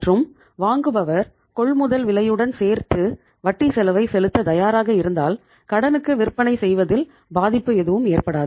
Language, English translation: Tamil, And if the buyer is ready to pay the interest cost in the purchase price in that case there is no harm in selling on credit